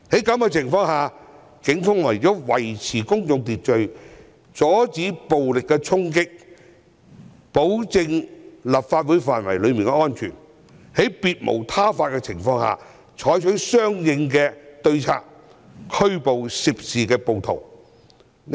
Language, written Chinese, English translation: Cantonese, 警方為了維持公眾秩序，阻止暴力衝擊，以及保障立法會範圍的安全，在別無他法下採取相應對策，拘捕涉事暴徒。, In order to maintain public order stop violent charging and protect the safety of the precincts of the Complex the Police had no alternative but to take corresponding actions and arrested the rioters involved